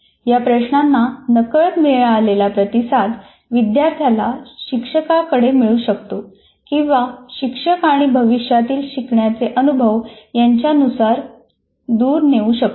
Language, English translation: Marathi, And unconscious responses to these questions can turn the students toward or away from their teachers and future learning experiences